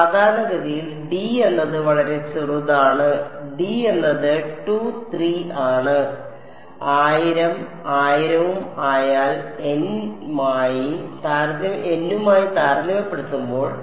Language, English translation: Malayalam, Typically, d is very small, d is 2 3 whatever and compared to n which is much large 1000’s and 1000’s